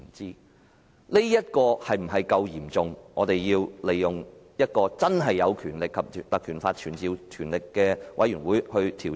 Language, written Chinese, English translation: Cantonese, 事件是否足夠嚴重，以致我們要引用《條例》成立有傳召能力的專責委員會去調查？, Is the incident serious enough to warrant our invocation of the Ordinance to set up a select committee with summoning power to conduct an investigation?